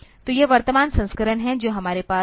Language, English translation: Hindi, So, that are the current versions that we have